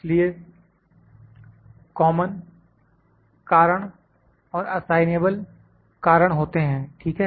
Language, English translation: Hindi, So, they are I would say common causes and assignable causes ok